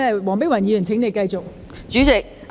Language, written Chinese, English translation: Cantonese, 黃碧雲議員，請你繼續發言。, Dr Helena WONG please continue with your speech